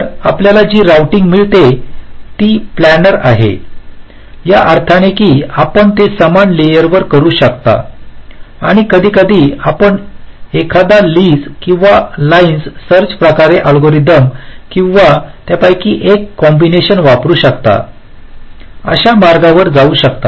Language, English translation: Marathi, so the routing that you get is planner in the sense that you can do it on the same layer and sometimes to get the path you can use either lees or line search kind of algorithms or a combination of them